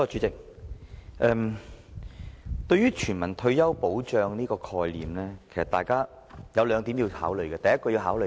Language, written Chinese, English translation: Cantonese, 代理主席，對於全民退休保障這個概念，大家應該從兩方面考慮。, Deputy President we should consider the concept of universal retirement protection in two aspects